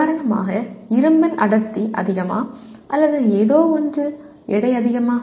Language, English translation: Tamil, For example the density of iron is so much or the weight of something is so much